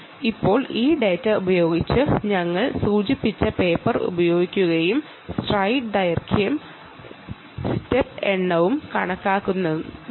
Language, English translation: Malayalam, now, using this data, you have to use the ah paper that we mentioned and actually calculate the stride length and the step count